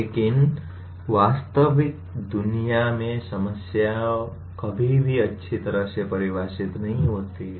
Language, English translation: Hindi, But in real world problems are never that well defined